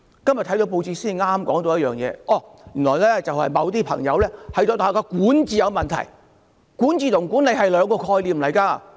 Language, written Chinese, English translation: Cantonese, 今天報章報道原來某些朋友認為大學的管治出了問題，但管治和管理是兩個概念。, According to the press reports today it is because certain people have seen problems with the governance of universities . But governance and management are two different concepts